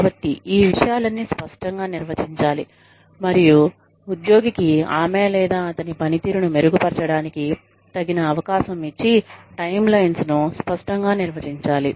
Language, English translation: Telugu, And, the timelines should be clearly defined, for the employee, to have a fair chance, at improving her or his performance